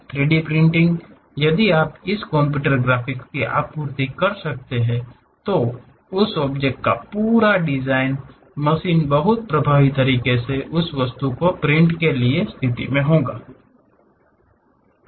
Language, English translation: Hindi, In 3D printing, if you can supply this computer graphics, the complete design of that object; the machine will be in a position to print that object in a very effective way